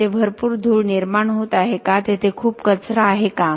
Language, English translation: Marathi, Is there a lot of dust being produced is there lot of debris and so on